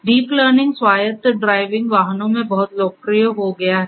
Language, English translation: Hindi, Deep learning has become very popular in autonomous driving vehicles